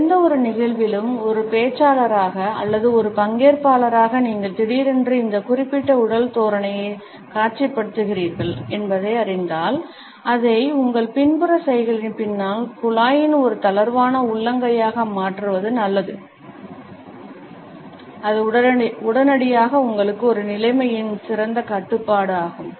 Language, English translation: Tamil, If as a speaker in any event or as a participant you suddenly become aware that you are displaying this particular body posture, it would be advisable to change it to a relaxed palm in pump behind your back gesture and immediately you would feel that you have a better control of the situation